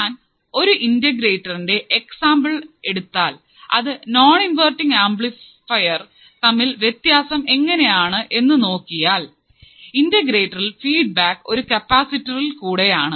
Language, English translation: Malayalam, Now, if I take an example of the integrator the thing that is different from a non inverting amplifier is that the main thing in the integrator was that now the feedback is given through the capacitor, so that becomes our integrator